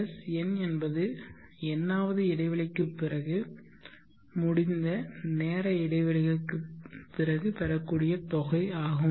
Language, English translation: Tamil, Sn is sum of the nth interval of time that as elapsed